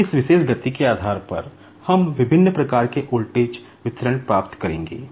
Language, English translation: Hindi, So, depending on this particular speed, we will be getting the different types of voltage distribution